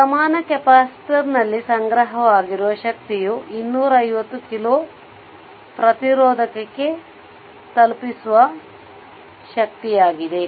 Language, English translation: Kannada, The energy stored in the equivalent capacitor is the energy delivered to the 250 kilo ohm resistor